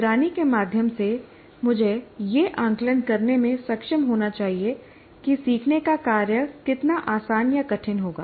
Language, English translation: Hindi, So I should be able to, through monitoring, I should be able to make an assessment how easy or difficult a learning task will be to perform